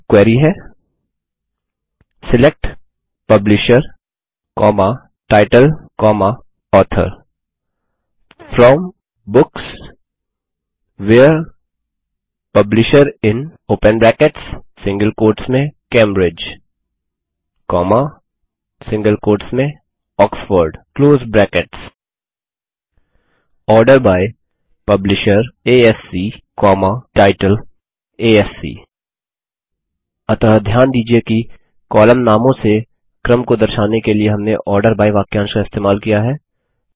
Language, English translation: Hindi, And here is the query: SELECT Publisher, Title, Author FROM Books WHERE Publisher IN ( Cambridge, Oxford) ORDER BY Publisher ASC, Title ASC So notice we have used the ORDER BY clause to specify Sorting on column names